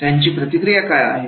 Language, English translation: Marathi, How is the feedback